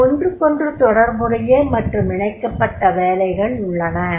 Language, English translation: Tamil, There are certain relevant and connected jobs are there